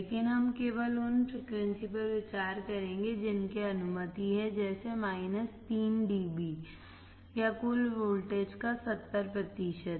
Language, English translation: Hindi, But we will consider only frequencies that are allowed are about minus 3 dB or 70 percent of the total voltage